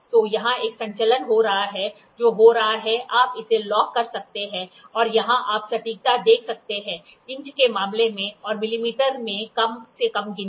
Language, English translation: Hindi, So, here is a movement which is happening, you can lock it and here you can see the accuracy the least count in terms of inches and in millimeter